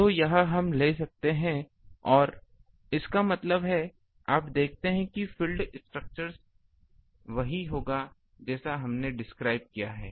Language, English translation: Hindi, So, this we can take and; that means, you see the field structure will be same as ba whatever we have described